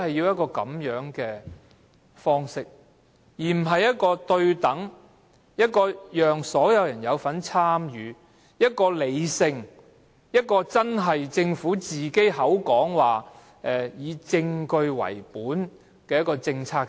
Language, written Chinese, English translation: Cantonese, 我們是否不可以對等、人人有份參與、理性的方式，由政府以證據為本來制訂政策呢？, In fact we can adopt practices upholding equality and rationality and allowing universal participation to make the Government formulate evidence - based policies . Can we not do that?